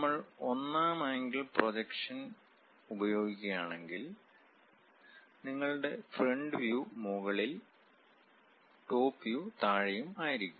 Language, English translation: Malayalam, Now, if we are using first angle projection; your front view at top and top view at bottom